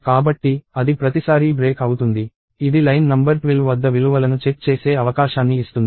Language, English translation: Telugu, So, it will break; every time, it will give us a chance to inspect values at line number 12